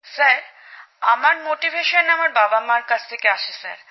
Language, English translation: Bengali, Sir, for me my motivation are my father mother, sir